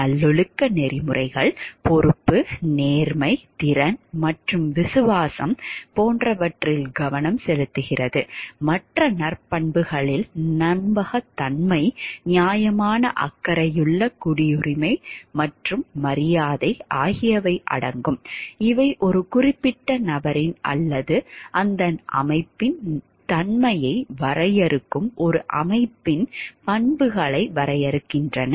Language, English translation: Tamil, Virtue ethics focuses onwards such as responsibility honesty competence and loyalty which are the virtues, other virtues might also include trustworthiness fairness caring citizenship and respect these you see are defining qualities of the characteristics of a particular person or an organization that defines the nature of that organization or person